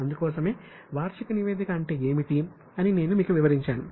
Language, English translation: Telugu, That's why in this session I have told you what is annual report